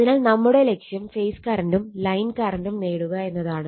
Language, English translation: Malayalam, So, our goal is to obtain the phase and line currents right